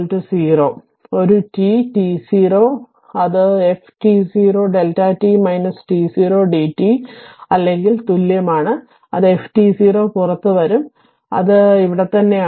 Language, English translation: Malayalam, Therefore, a t is equal to t 0 alpha beta it is f t 0 delta t minus t 0 d t or is equal it is f t 0 will come out it is here right